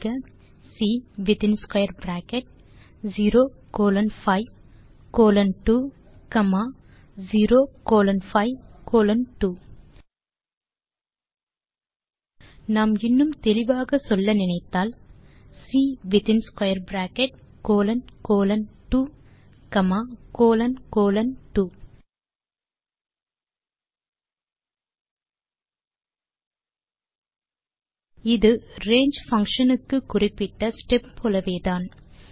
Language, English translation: Tamil, We do this by,Typing C within square bracket 0 colon 5 colon 2 comma 0 colon 5 colon 2 if we wish to be explicit, then we say,C colon colon 2 with square bracket in colon colon 2 This is very similar to the step specified in the range function